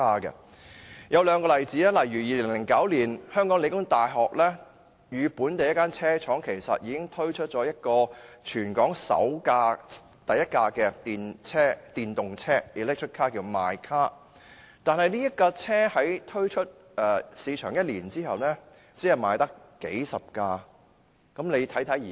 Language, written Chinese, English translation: Cantonese, 2009年，香港理工大學與本地一間車廠已合作推出全港首輛自主研發的電動車 "mycar"， 但產品推出市場一年，只售出了數十輛。, In 2009 The Hong Kong Polytechnic University and a local automobile manufacturer cooperated to launch the first homegrown electric vehicle mycar in Hong Kong . However only a few dozen cars were sold a year after the car was launched in the market